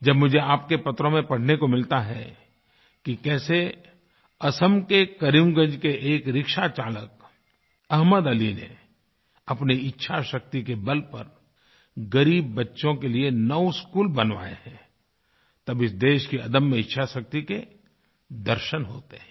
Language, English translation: Hindi, When I get to read in your letters how a rickshaw puller from Karimgunj in Assam, Ahmed Ali, has built nine schools for underprivileged children, I witness firsthand the indomitable willpower this country possesses